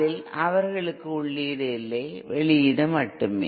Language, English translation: Tamil, In that they have no input, only output